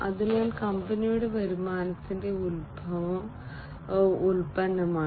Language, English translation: Malayalam, So, the product is the origin of company earnings